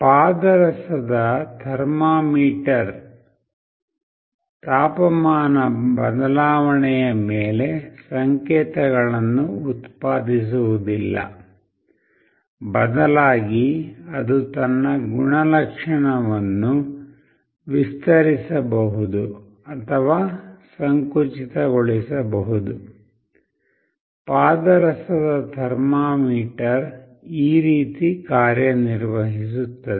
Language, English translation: Kannada, A mercury thermometer does not produce signals on temperature change, instead it changes its property like it can expand or contract this is how a mercury thermometer works